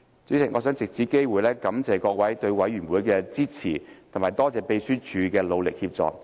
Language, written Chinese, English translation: Cantonese, 主席，我想藉此機會感謝各位對委員會的支持，並感謝秘書處的努力協助。, President I would like to take this opportunity to thank Members for their support for the Committee . My gratitude also went to the Secretariat for its efforts and assistance